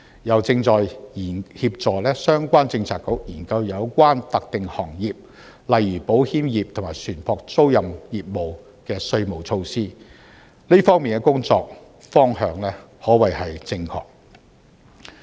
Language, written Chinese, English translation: Cantonese, 又正在協助相關政策局研究有關特定行業，例如保險業和船舶租賃業務的稅務措施，這方面的工作方向可謂正確。, BTPU has also been assisting some Policy Bureaux in studying tax measures relevant to specific sectors such as the insurance industry and ship leasing business . The work in this direction is said to be correct